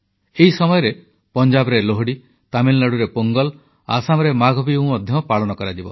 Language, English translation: Odia, During this time, we will see the celebration of Lohri in Punjab, Pongal in Tamil Nadu and Maagh Biihu in Assam